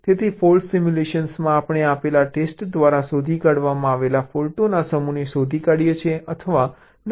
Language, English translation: Gujarati, so in faults simulation we we detect or determine the set of faults that are detected by given test set